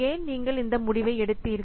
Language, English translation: Tamil, So, why you have taken this decision